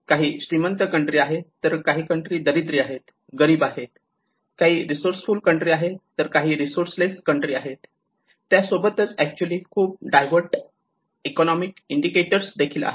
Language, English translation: Marathi, There are rich countries, there are poor countries, there are resourceful countries, the resourceless countries and that have actually as a very diverse economic indicators into it